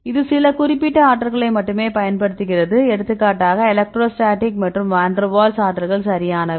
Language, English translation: Tamil, Here it use only some specific terms of energies for example, electrostatic and the Van Der Waals energies right